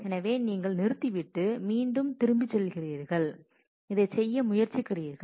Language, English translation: Tamil, So, you abort and you are going back again and you are trying to do this